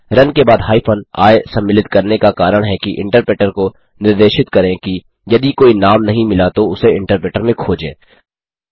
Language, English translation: Hindi, The reason for including a hyphen i after run is to tell the interpreter that if any name is not found in script, search for it in the interpreter